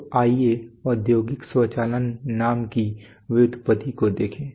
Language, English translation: Hindi, So let’s look at the etymology of the name industrial automation